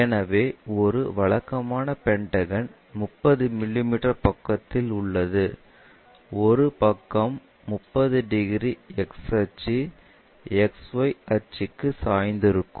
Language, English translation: Tamil, So, there is a regular pentagon of 30 mm sides with one side is 30 degrees inclined to X axis, XY axis